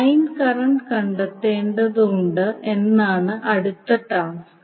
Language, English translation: Malayalam, Next task is you need to find out the line current